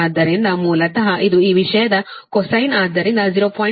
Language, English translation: Kannada, so basically it is cosine of this thing